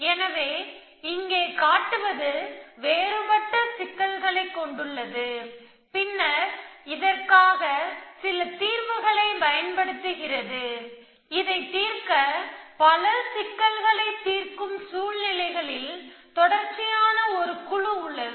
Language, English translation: Tamil, So, here posing it has a different problem and then using some solver, to solve this is recurring team in many problem solving situations